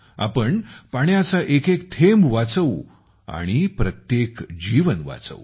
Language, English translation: Marathi, We will save water drop by drop and save every single life